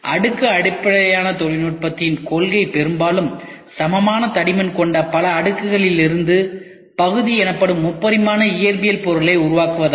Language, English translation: Tamil, The principle of the layer based technology is to compose a 3 dimensional physical object called part from many layers of mostly equal thickness